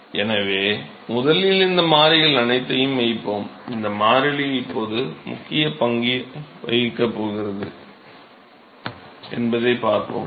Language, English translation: Tamil, So, let us first put all these constants, we will see that this constant is now going to play a role, we will see that